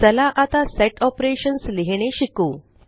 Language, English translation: Marathi, Let us now learn how to write Set operations